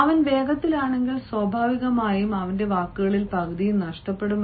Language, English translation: Malayalam, if he is fast, naturally half of his words will be lost